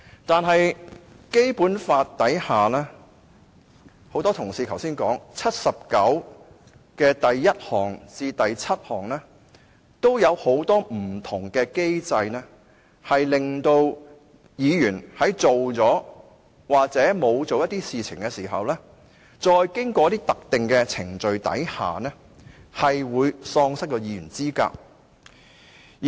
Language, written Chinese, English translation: Cantonese, 可是，很多同事剛才也提及，根據《基本法》第七十九條第一項至第七項，也有很多不同機制令議員在做了或沒有做一些事情時，在經過特定程序後，喪失議員資格。, Many Honourable colleagues have mentioned just now that under Article 791 to Article 797 of the Basic Law there are various mechanisms which enable a Member after committing or not committing certain acts to be disqualified from office in consequence of certain specific procedures